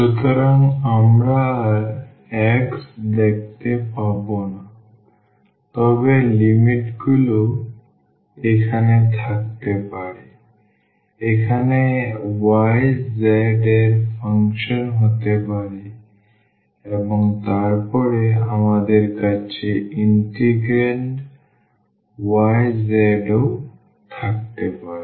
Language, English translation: Bengali, So, we will not see x anymore, but the limits can be here the function of y z here can be the function of y z and then we will have also the y z in the integrand